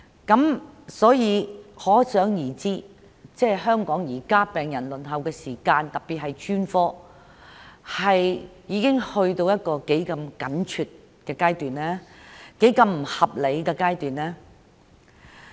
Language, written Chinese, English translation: Cantonese, 由此可知現在香港病人的輪候時間，特別是輪候專科治療，已去到一個多麼緊張和不合理的地步。, It can thus be seen that the waiting time for patients in Hong Kong has become unreasonably long especially their waiting time for specialist treatment